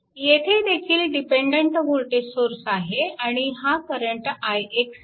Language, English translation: Marathi, So, there is so dependent voltage source is there, and this current is i x